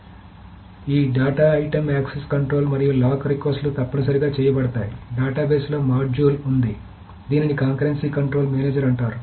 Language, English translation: Telugu, So this control the access to a data item and the requests of lock are essentially made to, there is a module in the database which is called the concurrency control manager